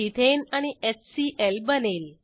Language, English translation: Marathi, Ethane and HCl are formed